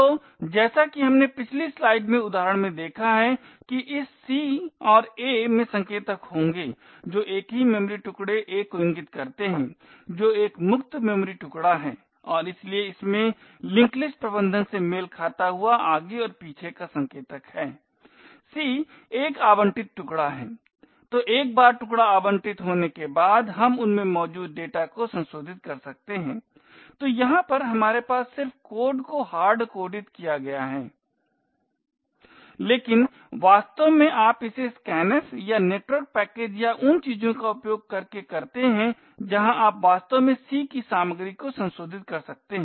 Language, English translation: Hindi, So as we have seen in the example in the previous slide this c and a would have pointers which point to the same memory chunk a is a freed memory chunk and therefore it has a forward and back pointers corresponding to the link list management well c is an allocated chunk, so once the chunk is allocated we can then modify the data present in them, so over here we have just hard coded the code but in reality you could actually have this by using say a scanf or from a network packet or things like that where you could actually modify the contents of c